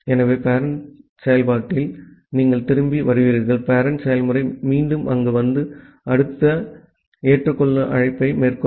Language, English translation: Tamil, So, in the parent process you will return back and the parent process will again come here and make the next accept call